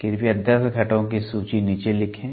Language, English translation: Hindi, Please write list down the 10 components